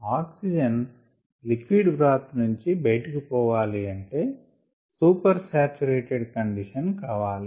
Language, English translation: Telugu, for oxygen to go out of the liquid broth you need to reach super saturated conditions